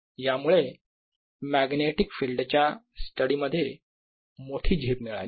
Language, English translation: Marathi, so this gave a jump to the steady of magnetic fields quite a bit